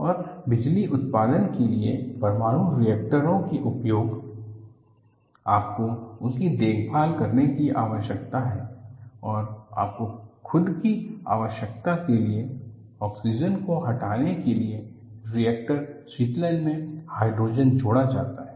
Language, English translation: Hindi, And with the use of nuclear reactors for power generation, you need to take care of them and for your own requirement, hydrogen is added to the reactor coolant to remove oxygen; though, it is used to remove oxygen, it adds up to hydrogen embrittlement